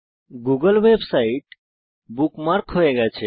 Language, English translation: Bengali, The google website is bookmarked